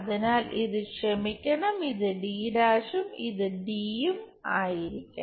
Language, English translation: Malayalam, So, this I am sorry this supposed to be d’ and d